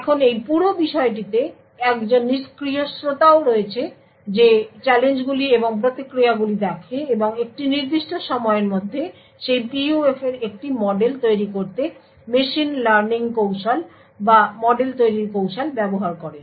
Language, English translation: Bengali, Now there is also a passive listener in this entire thing who views these challenges and the responses and over a period of time uses machine learning techniques or model building technique to build a model of that PUF